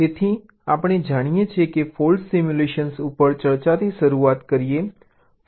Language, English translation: Gujarati, so we know, start, ah with the discussion on faults simulation